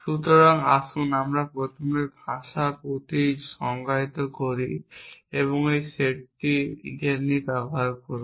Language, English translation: Bengali, us define first the language first logic and I will do this set of simultaneously